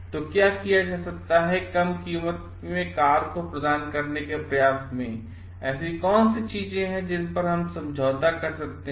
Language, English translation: Hindi, So, what can be done in that be in the effort to provide a low priced car, what are the things that we can really compromise on